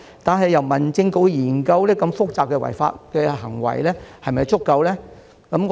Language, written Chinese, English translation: Cantonese, 但是，由民政事務局研究如此複雜的違法行為是否足夠呢？, However is it adequate for the Home Affairs Bureau to study such complicated illegal acts?